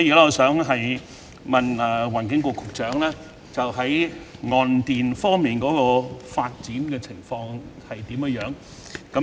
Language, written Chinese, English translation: Cantonese, 我想問環境局局長，岸電發展的情況如何？, I would like to ask the Secretary for the Environment How is the development of onshore power?